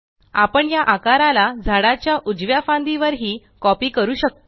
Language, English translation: Marathi, We shall copy this shape to the right branch of the tree, also